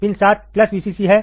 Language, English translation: Hindi, Pin 7 is plus VCC